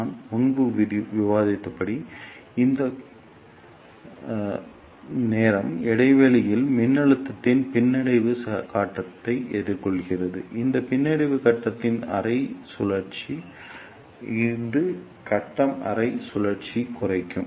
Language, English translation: Tamil, And as I discussed earlier the time of this bunching should be such that the bunching encounter the retarding phase of the gap voltage this is the half cycle of retarding phase, this is also retarding phase half cycle